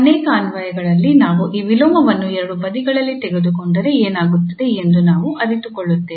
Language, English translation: Kannada, And sometimes, it is very useful and we will realise in many applications that if we take this inverse here on both the sides then what will happen